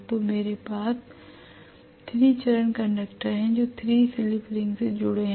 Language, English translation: Hindi, So I have 3 phase conductors being connected to 3 slip rings